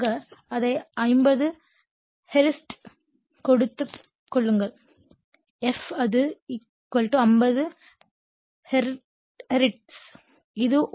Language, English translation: Tamil, Generally, you take it is a 50 hertz system f it = 50 hertz